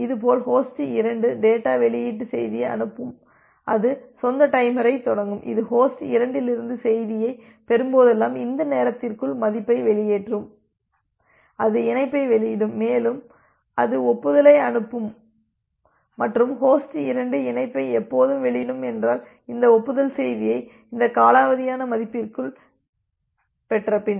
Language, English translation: Tamil, Similarly, host 2 it will send the data release message and it will start the own timer, whenever it is receiving the message from host 2 within this time out value it will release the connection and it will send the acknowledgement, and if host 2 is getting this acknowledgement message within this timeout value it will release the connection